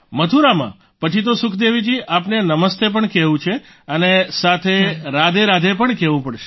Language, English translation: Gujarati, In Mathura, then Sukhdevi ji, one has to say Namaste and say RadheRadhe as well